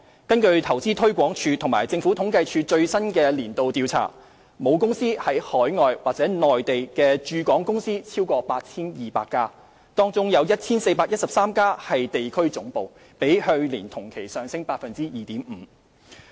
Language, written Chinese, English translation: Cantonese, 根據投資推廣署和政府統計處最新的年度調查，母公司在海外或內地的駐港公司超過 8,200 家，當中有 1,413 家為地區總部，較去年同期上升 2.5%。, According to the latest annual survey jointly conducted by Invest Hong Kong InvestHK and the Census and Statistics Department the number of business operations in Hong Kong with parent companies overseas or in the Mainland has exceeded 8 200 . Among them 1 413 are regional headquarters representing an increase of 2.5 % over the same period last year